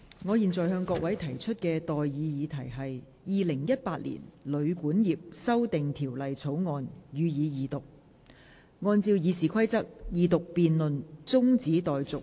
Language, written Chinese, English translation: Cantonese, 我現在向各位提出的待議議題是：《2018年旅館業條例草案》，予以二讀。, I now propose the question to you and that is That the Hotel and Guesthouse Accommodation Amendment Bill 2018 be read the Second time